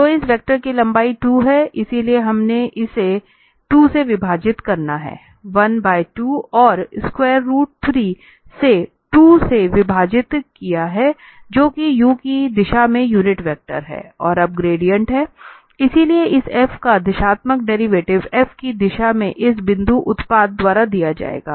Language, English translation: Hindi, So the length of this vector is 2, so we have divided this by 2, 1 by 2 and a square root 3 by 2, that is the unit vector in the direction of u and now the gradient, so the directional derivative of this f in the direction of b will be given by this dot product